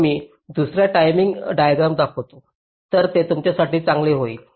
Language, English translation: Marathi, so let me show you the timing diagram so it will be good for you